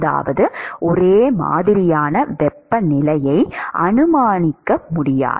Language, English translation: Tamil, Which simply means that no uniform temperature can be assumed